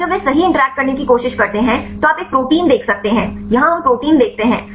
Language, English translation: Hindi, Now when they try to interact right you can see a protein here we look at the protein